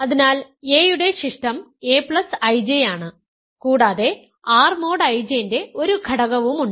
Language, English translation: Malayalam, So, residue of a is a plus I J and there is an element of R mod I J